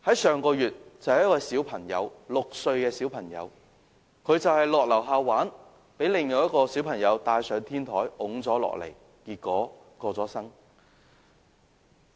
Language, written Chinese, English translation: Cantonese, 上個月，二坡坊就有一個6歲的小朋友到樓下玩耍時，被另一個小朋友帶上天台推了下來，結果逝世。, Last month a six - year - old kid living in Yi Pei Square went downstairs to play and was taken by another child to the rooftop; the kid was pushed off the rooftop and died